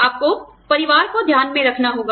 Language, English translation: Hindi, You have to take, the family into account